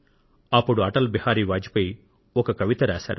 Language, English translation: Telugu, Atal Bihari Vajpayee ji was also in jail at that time